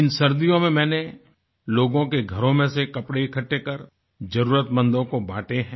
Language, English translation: Hindi, This winter, I collected warm clothes from people, going home to home and distributed them to the needy